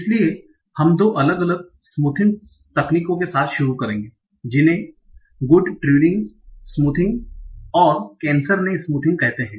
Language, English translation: Hindi, So we'll start with two different smoothing methods called Good Turing and Kineshaneasme